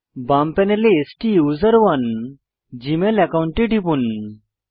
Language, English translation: Bengali, From the left panel, click on the STUSERONE gmail account